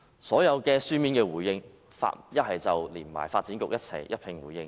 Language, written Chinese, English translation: Cantonese, 所提供的書面回應中，全是與發展局或市建局一併回應。, They would only give joint written replies with the Development Bureau or the Urban Renewal Authority